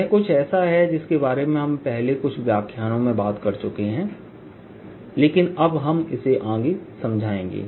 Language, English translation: Hindi, this is something we have already talked about in first few lectures but now will explain it further